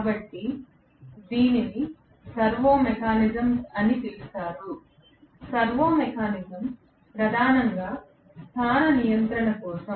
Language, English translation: Telugu, So, this is used in something called servo mechanisms, servo mechanism is mainly for position control